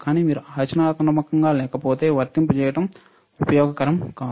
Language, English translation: Telugu, But if you do not apply into practical it is not useful